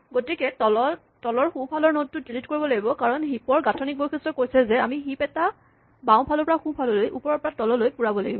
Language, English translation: Assamese, So, this node at the bottom right must be deleted because the structural property of the heap says that we must fill the tree left to right, top to bottom